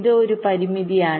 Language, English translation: Malayalam, this is one constraint